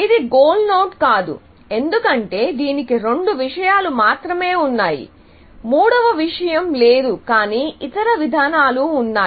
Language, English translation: Telugu, This cannot be a goal node, because it has only two things; the third thing is not there, essentially, but there are other approaches